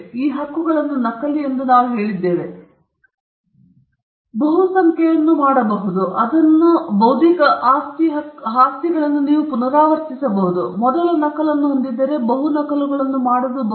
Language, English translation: Kannada, We said these rights are duplicable; you can make multiple, you can reproduce them; if you have the first copy, you can make multiple copies of it